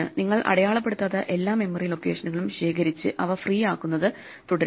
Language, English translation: Malayalam, You collect all the unmarked memory locations and make them free and proceed